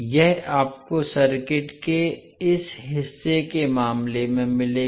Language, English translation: Hindi, So this you will get in case of this part of the circuit